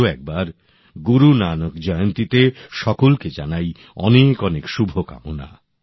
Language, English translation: Bengali, Once again, many best wishes on Guru Nanak Jayanti